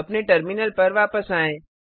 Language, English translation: Hindi, Come back to a terminal